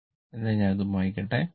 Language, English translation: Malayalam, So, let me delete it